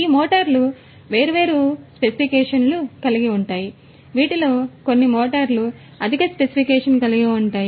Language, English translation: Telugu, These motors can be of different specifications, some of these motors can be of higher specification